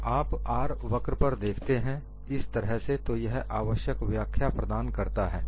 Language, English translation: Hindi, When you look at an R curve, like this that provides you all the necessary explanation